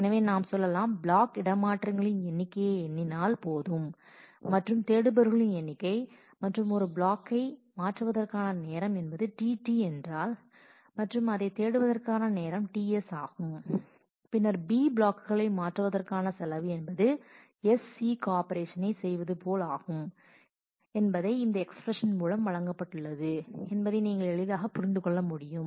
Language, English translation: Tamil, So, if we say that if we just count the number of block transfers and the number of seeks and if the time to transfer one block is t T and time for seek is one seek is t S, then the cost of transferring b blocks doing and doing S seek will be given by this expression you can easily understand that